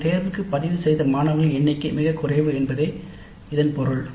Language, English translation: Tamil, The implication is that the number of students who have registered for that elective is very small